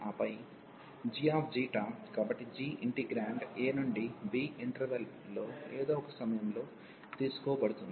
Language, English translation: Telugu, And then g psi, so g the integrand is taken at some point in the interval a to b